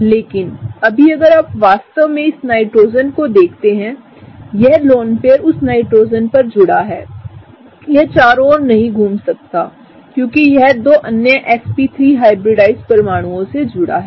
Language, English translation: Hindi, But right now if you really see this Nitrogen; that lone pair is kind of locked on that Nitrogen, it cannot move around because it is bonded to another two sp3 hybridized atoms